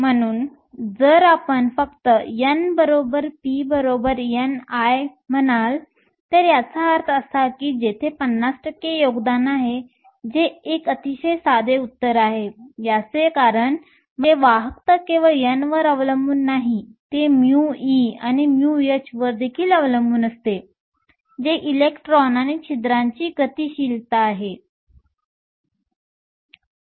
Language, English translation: Marathi, So, if you just say n is equal to p is equal to n i that means, there is a 50 percent contribution that is a very simplistic answer, the reason is the conductivity not only depends on n, it also depends upon mu e and mu h, which is the mobility of the electrons and holes